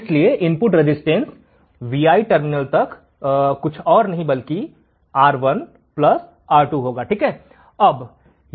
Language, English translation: Hindi, therefore, input resistance to Vi terminal one is nothing but R1 plus R2